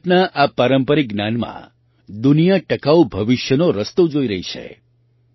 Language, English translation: Gujarati, In this traditional knowledge of India, the world is looking at ways of a sustainable future